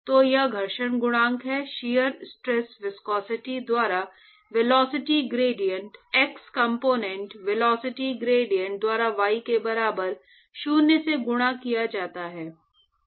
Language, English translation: Hindi, So, that is the friction coefficient shear stress is given by viscosity multiplied by the velocity gradient x component velocity gradient at y equal to zero